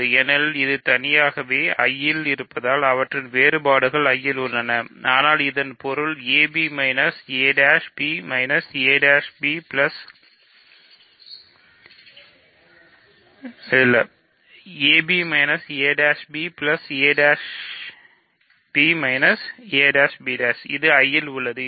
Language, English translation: Tamil, Because individually they are in I, their differences is in I but this means a b minus a prime b minus a prime b plus a prime b prime is in I